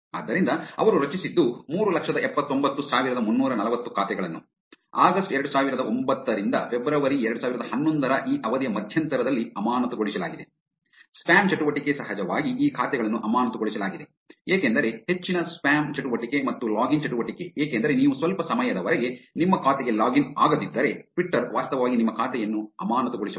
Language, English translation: Kannada, So, what they formed was they formed 379,340 accounts that has been suspended in the interval of this period August 2009 to February 2011, spam activity of course, these accounts were suspended because there was a high spam activity and login activity because if you do not login to your account for sometime, Twitter can actually suspend your account